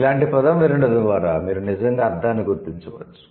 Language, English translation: Telugu, So, by listening to the word, you can actually figure out the meaning